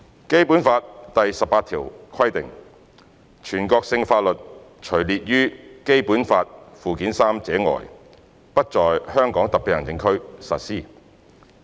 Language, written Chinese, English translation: Cantonese, 《基本法》第十八條規定，"全國性法律除列於本法附件三者外，不在香港特別行政區實施。, Article 18 of the Basic Law stipulates that national laws shall not be applied in Hong Kong Special Administrative Region except for those listed in Annex III to this Law